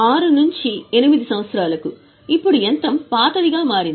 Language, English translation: Telugu, And for year 6 to 8, now the machine has rather become older